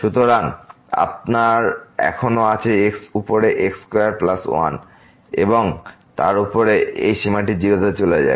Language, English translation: Bengali, So, you have still over square plus and then, this limit will go to